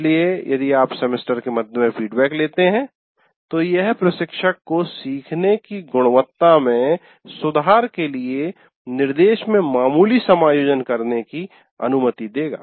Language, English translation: Hindi, So if you take the feedback in the middle of the semester, it will allow the instructor to make minor adjustments to instruction to improve the quality of learning